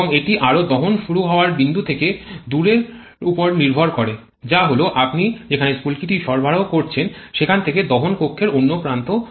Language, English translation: Bengali, And also it depends on the distance from the point of ignition that is a point at which you are providing the spark to the other end of the combustion chamber